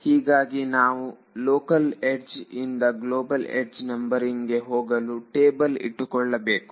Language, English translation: Kannada, So, we also have to keep a table which allows me to go from a local edge to a global edge numbering